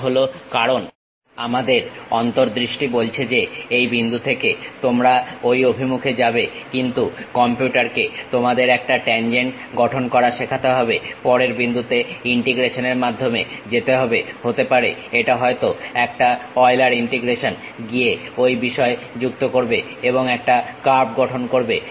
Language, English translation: Bengali, That is because our our visual says that from this point you go in that direction, but to the computer you have to teach construct a tangent, go to next point by integration maybe it might be a Euler integration, go join those things and construct a curve